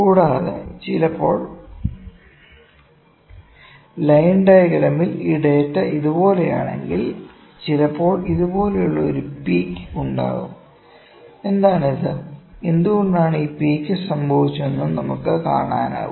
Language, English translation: Malayalam, Also, sometimes in line diagram we can see that if this data is like this, sometimes there is a peak like this, what is this, why this peak has occurred, we can work on this as well, ok